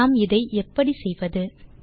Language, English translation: Tamil, How do we go about doing it